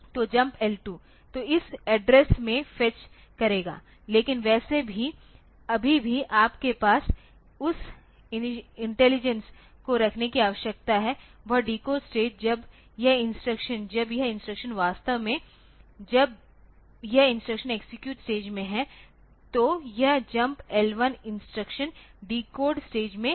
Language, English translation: Hindi, So, it should fetch from this address, but anyway still you need to have that intelligence that decodes stage when this instruction is this instruction actually when say this instruction is in the execute phase then this jump L2 instruction is in the decode phase